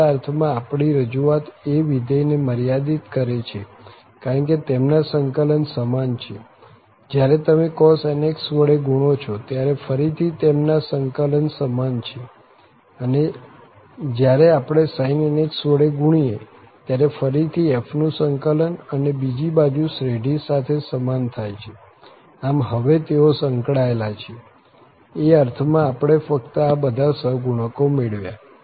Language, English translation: Gujarati, So, in some sense our representation is approximating the function because their integrals are equal, when you multiply by cos nx again their integrals are equal and when we multiply by sin nx again the integral of f and the other side with the series that is equal, so they are related now, we have just derived these coefficients in that sense